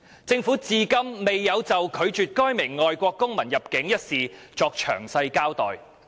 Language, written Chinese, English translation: Cantonese, 政府至今未有就拒絕該名外國公民入境一事作詳細交代。, So far the Government has not given a detailed account on its refusal of entry of that foreign national